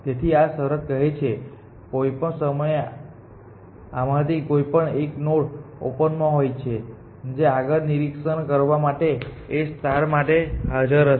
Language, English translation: Gujarati, So, this condition says that at any time 1 of these nodes is always in the open which is available to a star to inspect next